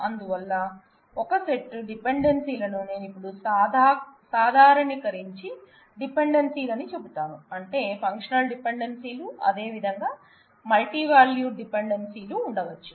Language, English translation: Telugu, So, that given a set of dependencies I will now generalize and say dependencies, which means that there could be functional dependencies, as well as multivalued dependencies